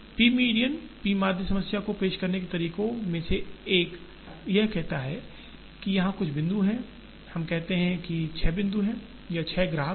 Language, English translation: Hindi, P median, one of the ways of introducing the p median problem is to say that, there are points here, let us say there are 6 points or there are 6 customers